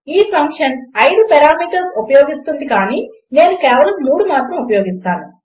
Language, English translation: Telugu, The function takes 5 parameters but I will use just 3